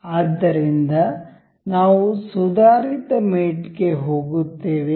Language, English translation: Kannada, So, we will go to advanced mate